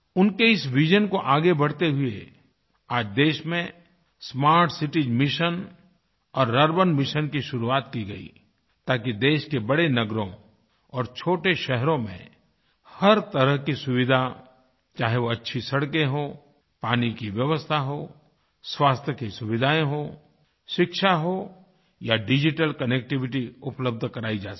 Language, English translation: Hindi, In continuance with his vision, smart city mission and urban missionwere kickstarted in the country so that all kinds of amenities whether good roads, water supply, health facilities, Education or digital connectivity are available in the big cities and small towns of the country